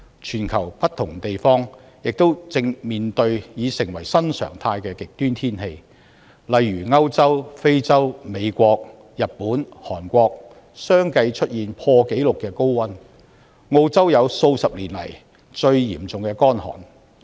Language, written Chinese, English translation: Cantonese, 全球不同地方亦正面對已成為新常態的極端天氣，例如歐洲、非洲、美國、日本、韓國相繼出現破紀錄的高溫，澳洲經歷數十年來最嚴重的乾旱。, Many different places around the world are also facing the challenges of the new normal of extreme weather . For example high temperatures at record - breaking levels have been recorded respectively in Europe Africa the United States Japan and South Korea while Australia was hit by a most serious drought in decades